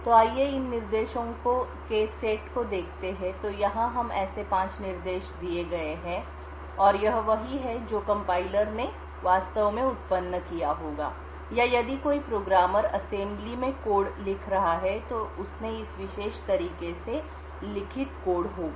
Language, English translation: Hindi, so here we have like there are 5 instructions and this is what the compiler would have actually generated or if a programmer is writing code in assembly he would have written code in this particular way